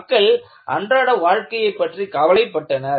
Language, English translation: Tamil, So, people were worried with day to day living